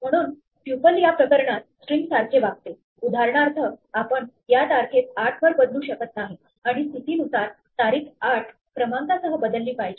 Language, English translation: Marathi, So, tuple behaves more like a string in this case, we cannot change for instance this date to 8 by saying date at position one should be replaced by the value 8